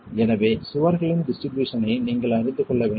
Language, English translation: Tamil, So, you need to know the distribution of the walls